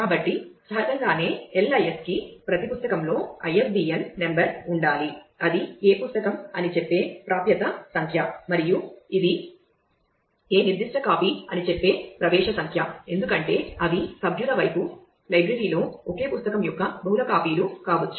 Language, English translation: Telugu, So, naturally the LIS need that every book has ISBN number which says which book it is and the accession number which says which specific copy it is, because they are may be multiple copies of the same book in the library on the member side